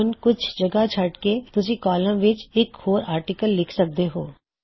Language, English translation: Punjabi, Now after leaving out some spaces you can write another article into the column